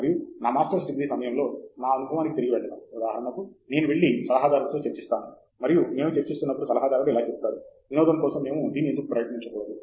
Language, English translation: Telugu, And going back to my experience during my Masters’ degree, for example, I would go and discuss with the advisor, and while we are discussing the advisor will say, why don’t we try this for fun